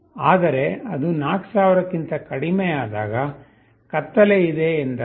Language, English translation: Kannada, But when it falls less than 4000, it means that there is darkness